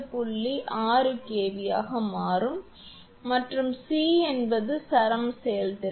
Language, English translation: Tamil, 6 kV; and c is the string efficiency